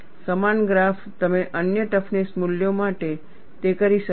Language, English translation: Gujarati, Similar graph, you could do it for other toughness values